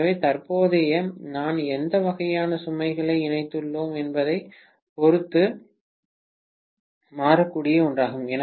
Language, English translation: Tamil, So, the current is the variable one depending upon what kind of load I have connected, right